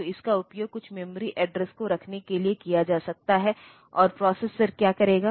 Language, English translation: Hindi, So, this can be used to hold some memory address, and what the processor will do